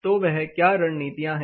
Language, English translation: Hindi, So, what are the strategies